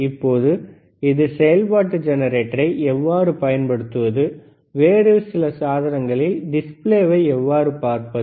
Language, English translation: Tamil, Now how to use this function generator, and how to see the display on some other equipment